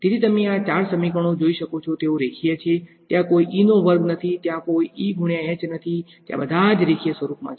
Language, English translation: Gujarati, So, as you can look at these 4 equations they are linear there is no E square there is no E into H right there all by themselves in a linear form